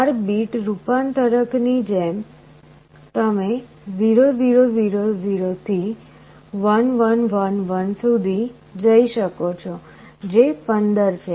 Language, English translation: Gujarati, Like for a 4 bit converter you could go from 0 0 0 0 up to 1 1 1 1 which is 15